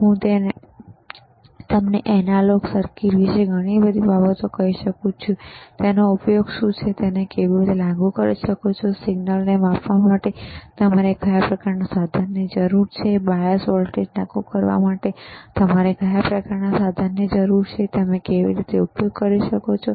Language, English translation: Gujarati, I can tell you a lot of things about analog circuits, what is the use, how you can apply it, what kind of equipment you require for measuring the signal, what kind of equipment you require to apply the bias voltage, how can you can use multimeter, right